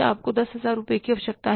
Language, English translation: Hindi, You need 10,000 rupees